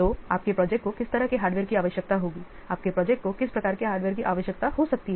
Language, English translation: Hindi, So your project will require what kind of hardware, what types of hardware your project will need first list all those things